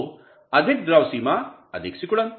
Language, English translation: Hindi, So, more liquid limit, more shrinkage